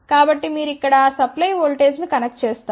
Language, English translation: Telugu, So, you connect the supply voltage here